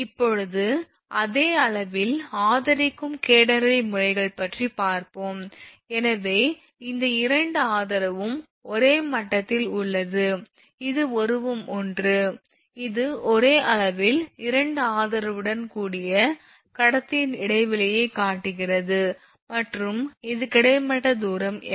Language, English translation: Tamil, So now catenary methods that is supports at the same level; so, this is that both the support at the same level, now figure one this is your figure one this is figure one, it is shows a span of conductor with 2 supports at the same level and supported by a horizontal distance L this is the horizontal distance L right